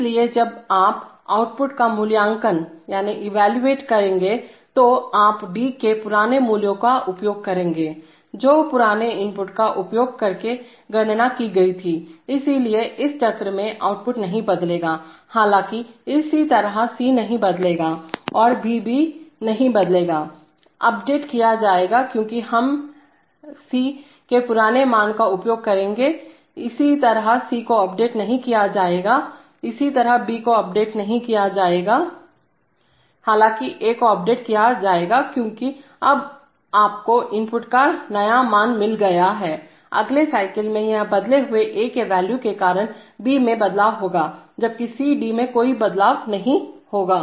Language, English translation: Hindi, So when you will evaluate output you will use the old value of D, which was computed using the old input, so therefore output will not change in this cycle, however, similarly C will not change because it is because and B also will not be, will be updated because we are, we will use the old value of C, similarly C will not be updated, similarly B will not be updated, however A will be updated because now you have got a new value of input, in the next cycle this changed value of A will cause a change in B, while C and D will still remain, C,D and output will still remain unchanged